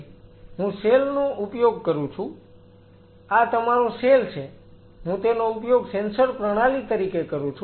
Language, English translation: Gujarati, So, I use the cell this is your cell, I use this as a sensor system